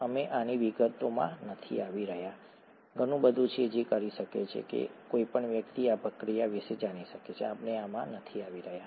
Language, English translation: Gujarati, We are not getting into details of this, is a lot that can, that one can know about this process, we are not getting into this